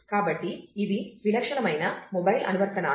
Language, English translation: Telugu, So, these are the typical kinds of mobile apps that